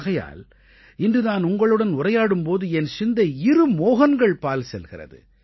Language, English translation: Tamil, And that's why today, as I converse with you, my attention is drawn towards two Mohans